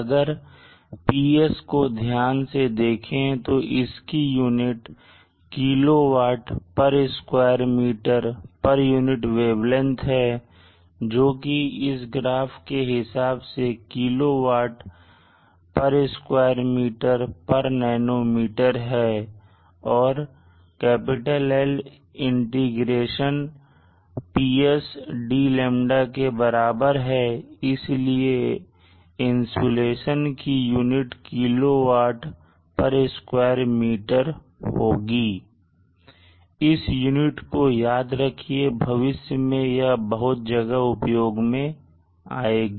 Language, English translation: Hindi, We observe that PS here as the units of kilo watt per meter square per unit wavelength which is kilowatt per meter square per nanometer corresponding to this particular graph and L is an integral of P with respect to the lambda parameter and therefore the insulation has the units of kilowatt per meter square so remember this units we will be using insulation quite frequently in future